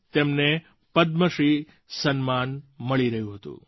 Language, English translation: Gujarati, She was being decorated with the Padma Shri award ceremony